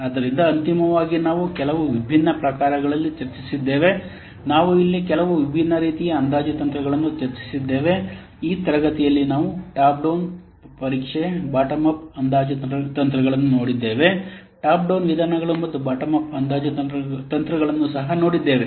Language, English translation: Kannada, So, finally, we have discussed some different types of, so let's see the summary we have discussed some different types of estimation techniques here in this class, such as top down testing we have seen and the bottom of estimation techniques we have seen